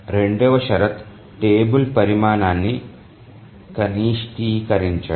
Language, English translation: Telugu, The second condition is minimization of the table size